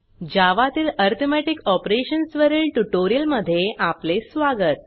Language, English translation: Marathi, Welcome to the tutorial on Arithmetic Operations in Java